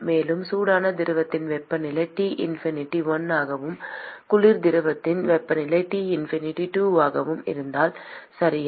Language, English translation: Tamil, And if the temperature of the hot fluid is T infinity 1 and the temperature of the cold fluid is T infinity 2, okay